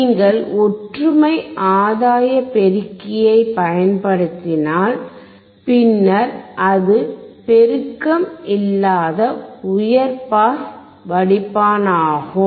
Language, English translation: Tamil, If you use unity gain amplifier, then it is high pass filter without amplification